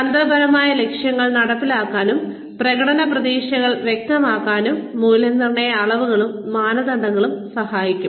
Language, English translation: Malayalam, Appraisal dimensions and standards can help to implement, strategic goals and clarify performance expectations